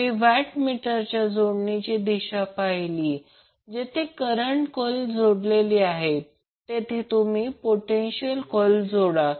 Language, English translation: Marathi, So if you see the direction of the watt meter connection, you will connect potential coil from where the current coil is connected